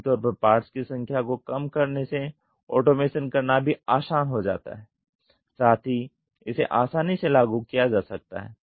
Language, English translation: Hindi, Reduced part count usually means automation is easy and it could be easily implemented